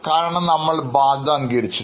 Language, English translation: Malayalam, Because we have accepted our obligation